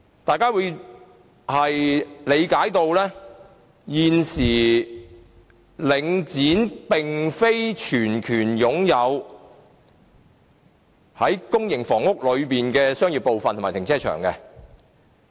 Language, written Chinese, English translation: Cantonese, 大家也理解到現時領展並非全權擁有公營房屋的商業部分及停車場。, As far as we understand it currently the commercial premises and car parks of public housing estates are not solely owned by Link REIT